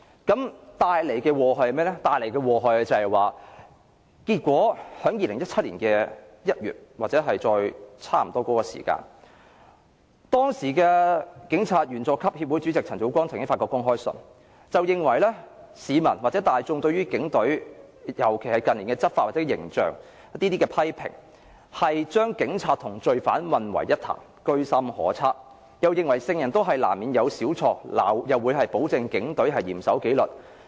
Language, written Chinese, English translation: Cantonese, 所帶來的禍害是，在2017年1月左右，當時的香港警察員佐級協會主席陳祖光曾發出公開信，認為市民大眾近年對於警隊執法或形象的批評，是將警察和罪犯混為一談，居心叵測，認為"聖人難免有少錯"，並保證警隊嚴守紀律。, What harms would be done to Hong Kong? . In an open letter issued in around January 2017 Chairman of the Junior Police Officers Association CHAN Cho - kwong considers criticism about the enforcement and the image of the Police Force as an ill - motivated attempt to confuse police officers with criminals . Vowing that police officers are under strict discipline CHAN also says even sage will commit minor mistakes